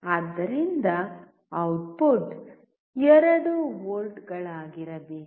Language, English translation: Kannada, So, output should be 2 volts